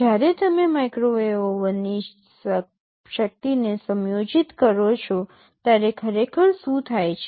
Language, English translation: Gujarati, When you adjust the power of the microwave oven what actually happens